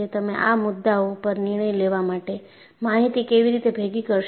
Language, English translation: Gujarati, How do you go about collecting the information to decide on these issues